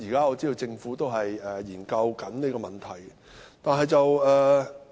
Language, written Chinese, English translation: Cantonese, 我知道政府正在研究這問題。, I know the Government is studying this problem